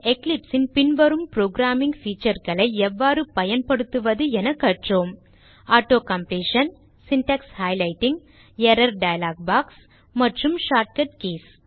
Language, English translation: Tamil, In this tutorial, we have learnt how to use programming features of Eclipse such as Auto completion, Syntax highlighting, Error dialog box, and Shortcut keys